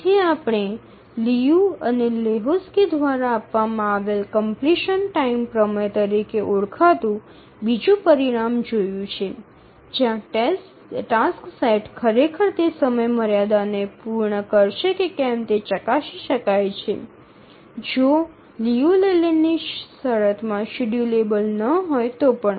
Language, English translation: Gujarati, So we'll look at another result called as the completion time theorem given by Liu and Lahotsky where we can check if the task set will actually meet its deadline even if it is not schedulable in the Liu Leyland condition